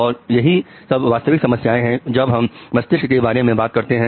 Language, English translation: Hindi, These are the real problems when you talk about brain